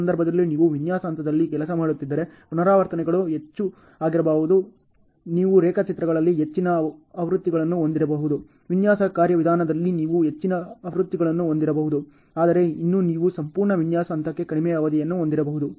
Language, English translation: Kannada, In this case repetitions can be more if you are working on a design phase you may have more versions on the drawings, you may have more versions in the design mechanisms, but still you may have a shorter duration for the entire design phase